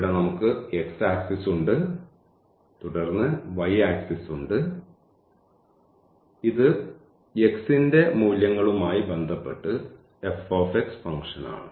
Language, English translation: Malayalam, So, this is x axis and then here we have the y axis and this is the function f x with respect to the values of x